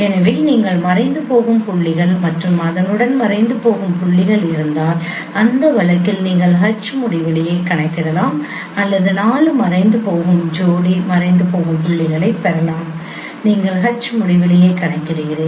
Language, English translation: Tamil, So if you have vanishing points and corresponding vanishing points you can compute H infinity in that case or you can get four vanishing pair of vanishing points you can compute H infinity